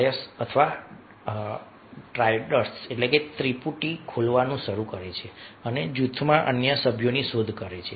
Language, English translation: Gujarati, the dyads, or triads, begin to open up and seek out other members in the group